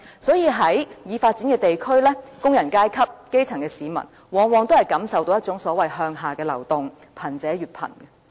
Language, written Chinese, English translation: Cantonese, 所以在已發展的地區，工人階級、基層市民往往都感受到一種所謂"向下的流動"，令貧者越貧。, This explains why the working - class people and the grassroots in developed places are invariably pressured by some kind of downward mobility that makes the poor even poorer